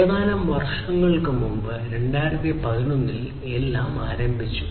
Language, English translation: Malayalam, So, only a few years back, back in 2011